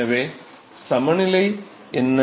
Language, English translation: Tamil, So, what is the heat balance